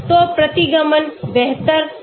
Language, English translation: Hindi, So the regression will be better